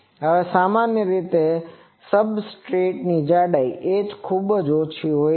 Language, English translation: Gujarati, Now, usually the substrate thickness h is very small